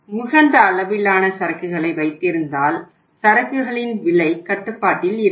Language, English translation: Tamil, And if you build up that much level of inventory, cost of inventory will be at control